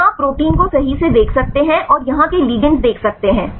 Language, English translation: Hindi, Here you can see the proteins right and see the ligands here